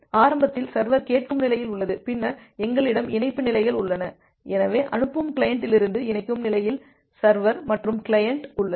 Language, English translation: Tamil, So, initially the server is in the listen state then we have the connect states, so in the connect state from the client you are sending so the server and this is the client